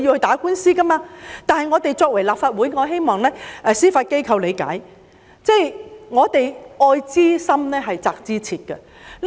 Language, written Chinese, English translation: Cantonese, 但是，身為立法會議員，我希望司法機構理解，我們愛之深，責之切。, However as a Legislative Council Member I hope the Judiciary will understand our view that spare the rod will spoil the child